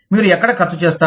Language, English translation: Telugu, Where do you spend